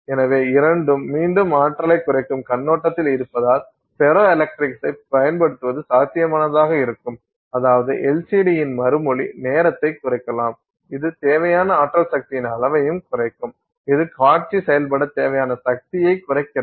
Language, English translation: Tamil, So, both again from the perspective of reducing energy, so use of ferroelectrics can potentially potentially I mean reduce response time of LCD, it will also reduce the amount of energy power required